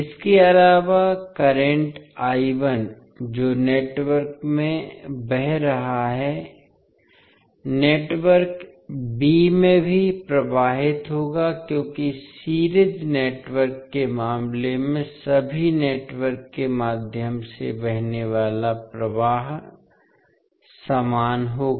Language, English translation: Hindi, Also, the current I 1 which is flowing in the network a will also flow in network b because in case of series network the current flowing through all the networks will remain same